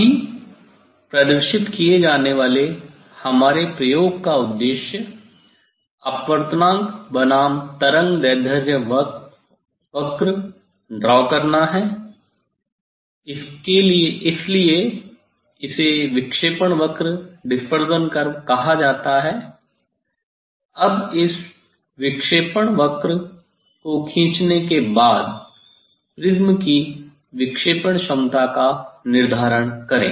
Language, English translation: Hindi, our aim of the experiment which will demonstrate now is draw refractive index versus wavelength curve, so that is called the dispersive curve, Now, after drawing this curve dispersive curve, determine the dispersive power of the prism